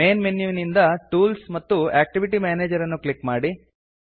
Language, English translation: Kannada, From the Main menu, click Tools and Activity Manager